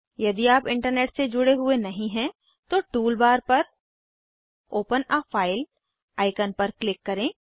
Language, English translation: Hindi, If you are not connected to Internet, then click on Open a File icon on the tool bar